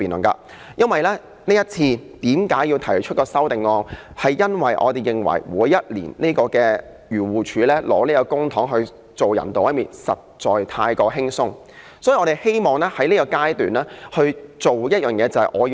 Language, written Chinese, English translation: Cantonese, 我要提出這項修正案，因為每年漁農自然護理署用公帑來進行動物人道毀滅，工作實在太過輕鬆，所以我希望削減它的撥款，使它不用這樣做。, I want to propose this amendment because the Agriculture Fisheries and Conservation Department AFCD uses public money to euthanize animals every year . Their work is far too easy . I thus wish to cut their allocation so that they cannot do so